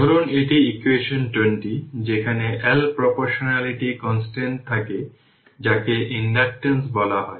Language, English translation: Bengali, Say this is equation 20 where L is constant of proportionality called inductance this you know right